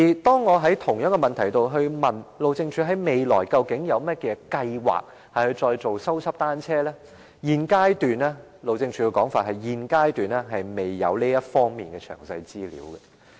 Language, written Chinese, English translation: Cantonese, 當我就同一問題詢問路政署，未來有甚麼計劃繼續修葺單車徑，路政署的說法是現階段未有這方面的詳細資料。, When I asked HyD the same question and about its future plans on repairing cycle tracks continuously HyD said that it did not have any detailed information in this connection at the present stage . A straw shows which way the wind blows